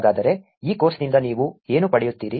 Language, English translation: Kannada, So, what do you get out of this course